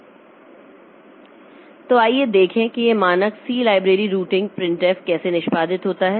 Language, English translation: Hindi, So, let us see how this standard C library routine printf is executed